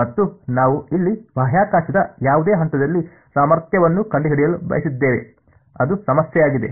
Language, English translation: Kannada, And we wanted to find out the potential at any point in space over here, that was what the problem was alright